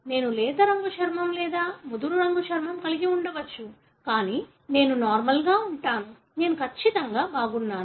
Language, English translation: Telugu, I may be having a fair skin or darker colour skin, but I am normal otherwise; I am absolutely fine